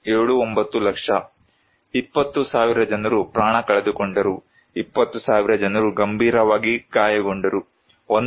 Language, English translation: Kannada, 79 lakhs, human life lost was 20,000 around seriously injured 20,000, person injured 1